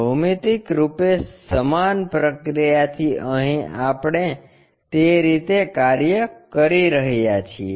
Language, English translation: Gujarati, The same procedure geometrically here we are doing it in that way